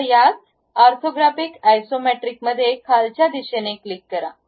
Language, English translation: Marathi, Now, in the same orthographic Isometric click this down one